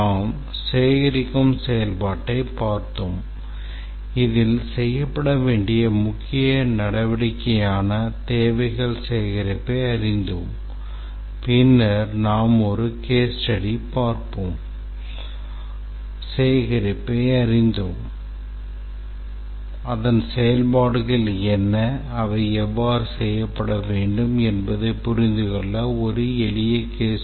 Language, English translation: Tamil, We had looked at the gathering activity and seen the main activities that had to be performed during the requirements gathering and then we had looked at a case study, simple case study to understand that what are the activities and how they have to be performed